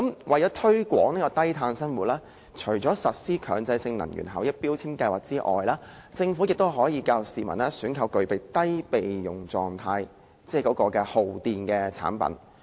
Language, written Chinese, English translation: Cantonese, 為了推廣低碳生活，除了實施強制性標籤計劃外，政府亦可以教育市民選購具有備用狀態的低耗電產品。, In order to promote low - carbon living apart from introducing MEELS the Government can also educate the public to buy electrical appliances with low standby power consumption